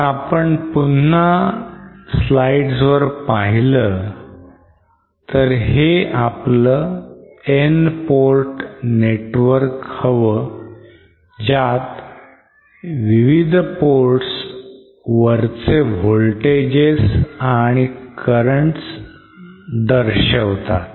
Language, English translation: Marathi, So once again if we can go back to the slide this is our N port network with currents and voltages for the various ports as shown